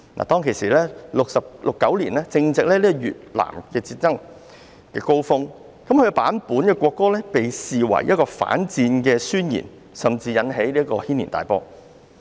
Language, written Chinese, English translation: Cantonese, 當時正值越南戰爭的高峰，這版本的國歌被視為反戰宣言，甚至引起軒然大波。, That time happened to be the peak of the Vietnam War . This version of the national anthem was regarded as an anti - war declaration and even aroused a huge controversy